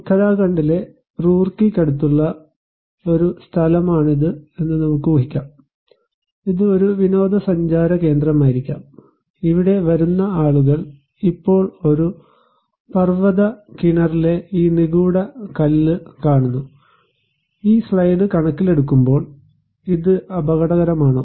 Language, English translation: Malayalam, Let us imagine that this is a place near Roorkee in Uttarakhand; it could be a tourist spot, people coming here watching this mystic stone in a mountain well now, considering this slide is it risky